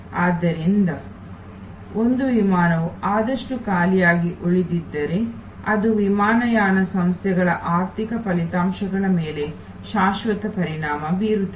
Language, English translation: Kannada, So, therefore, if one flight has left half empty that is a permanent impact on the financial results of the airlines